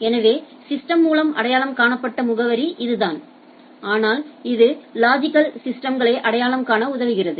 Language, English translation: Tamil, So, that is the address by which by the system is identified so, but this is logically able to identify the systems